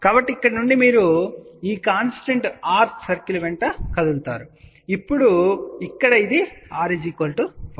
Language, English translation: Telugu, So, from here you move along this particular constant r circle ok or here it is r equal to 1